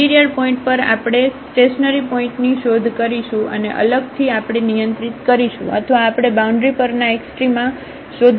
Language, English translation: Gujarati, So, at interior points we will search for the stationary point and separately we will handle or we will look for the extrema at the boundary